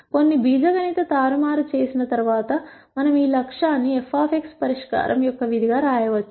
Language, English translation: Telugu, After some algebraic manipulation we can write this objective as a function of the solution f of x